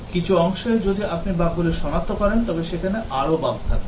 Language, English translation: Bengali, If some part you detect bugs, there will be more bugs there